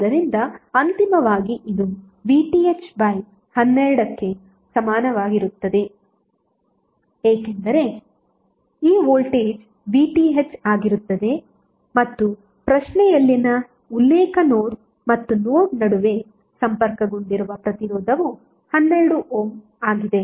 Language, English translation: Kannada, So finally this would be equal to VTh by 12 because the voltage at this is VTh and the resistance connected between the reference node and node in the question is 12 ohm